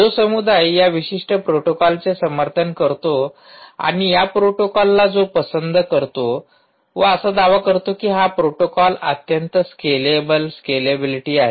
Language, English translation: Marathi, community, which supports this particular protocol and support loves this protocol, actually claim that it is a very scalable